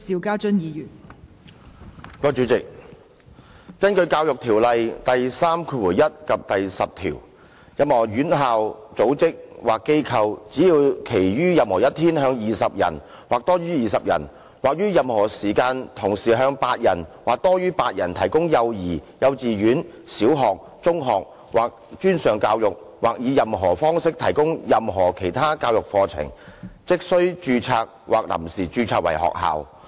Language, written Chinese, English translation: Cantonese, 根據《教育條例》第31及第10條，任何院校、組織或機構，只要其於任何一天向20人或多於20人或於任何時間同時向8人或多於8人提供幼兒、幼稚園、小學、中學或專上教育或以任何方式提供任何其他教育課程，即須註冊或臨時註冊為學校。, According to sections 31 and 10 of the Education Ordinance any institution organization or establishment which provides for 20 or more persons during any one day or 8 or more persons at any one time any nursery kindergarten primary secondary or post - secondary education or any other educational course by any means is required to be registered or provisionally registered as a school